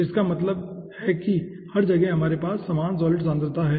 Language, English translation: Hindi, so that means everywhere we are having same solid concentration, alpha s